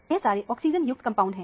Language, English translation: Hindi, All of them are oxygen containing compound